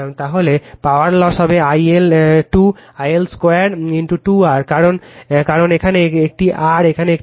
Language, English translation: Bengali, Then power loss will be I L square into 2 R, because here it is R, here it is R right